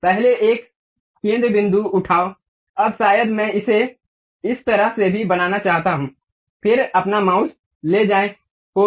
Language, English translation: Hindi, Now, pick first one, center point, now maybe I would like to construct it in that way too, then move your mouse, done